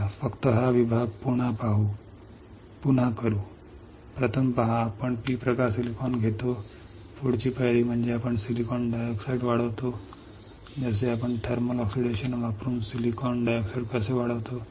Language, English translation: Marathi, Let us repeat only this section; see first is we take a P type silicon, next step is we grow silicon dioxide right how we grow silicon dioxide by using thermal oxidation